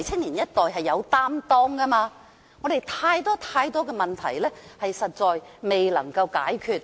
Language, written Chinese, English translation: Cantonese, 年青一代是有擔當的，而香港有太多問題尚未解決。, The young generation is willing to make commitment but there are too many unresolved problems in Hong Kong